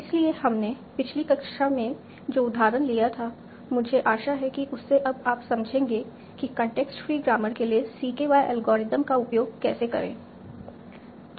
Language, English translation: Hindi, So from the example that we did in the last class, I hope you understand now how to use CKY algorithm for a context free grammar